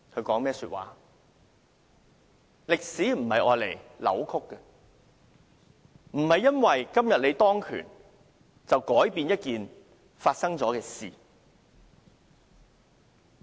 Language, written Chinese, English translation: Cantonese, 歷史不是用來扭曲的，不是說你今天當權，便可以改變一件已發生的事。, History brooks no distortion . It is not the case that when you are in power today you can change something that has happened